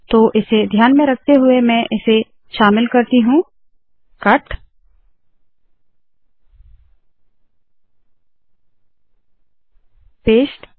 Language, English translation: Hindi, So in view of that, I will include this, cut, paste